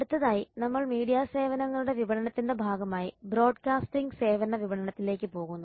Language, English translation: Malayalam, next we go to broadcasting services marketing as part of media services marketing